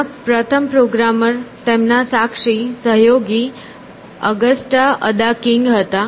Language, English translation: Gujarati, The first programmer was his accomplice, a collaborator, Augusta Ada King